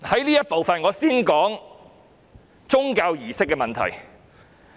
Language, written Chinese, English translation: Cantonese, 在這次發言，我先談談宗教儀式的問題。, In this speech I will first discuss the issue of religious services